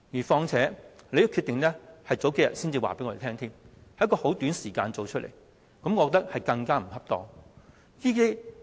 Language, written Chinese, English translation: Cantonese, 況且，你數天前才告知我們這個決定，在很短時間內作出這決定，我覺得更為不妥。, Besides we were informed of this decision just a few days ago . I find it inappropriate for the President to make this decision in such a short time